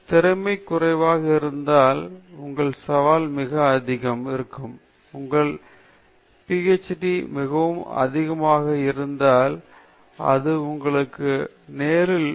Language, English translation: Tamil, If the skill is very low and your challenge is very high, if your challenge is very, very high, then it can happen to you, it can happen to you in your Ph